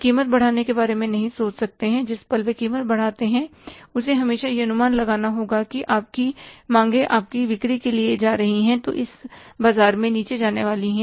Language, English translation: Hindi, The moment they increase the price, you always have to forecast that your demands are going to, your sales are going to go down in this market